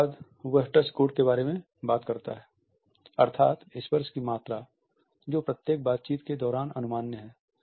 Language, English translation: Hindi, After that he talks about the touch code that is the amount of touch which is permissible during each interaction